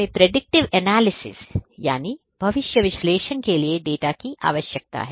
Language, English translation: Hindi, We need data to do predictive analytics